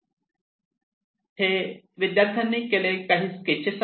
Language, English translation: Marathi, Here some of the sketches done by the students